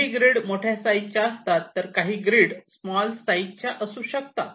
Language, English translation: Marathi, some grid can be bigger, some grid can be smaller